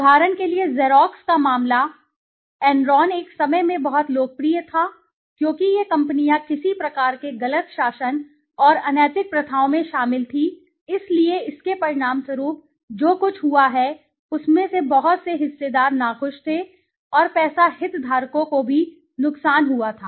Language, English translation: Hindi, For example, the case of Xerox, Enron were very popular at one point of time because these companies were involved in some kind of you know mis governance and unethical practices so because of, as a result of it what has happened is lot of stakeholders were unhappy and the money of the stakeholders were also at loss